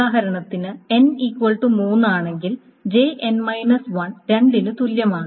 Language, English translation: Malayalam, So for example if n is equal to 3 then your j n minus 1 is only 2